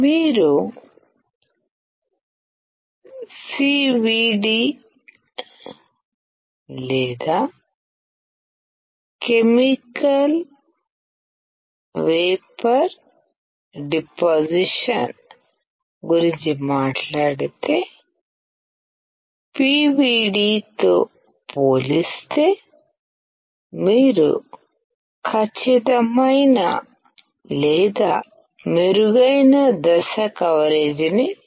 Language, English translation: Telugu, If you talk about CVD or chemical vapor deposition, you can see a perfect or better step coverage compared to the PVD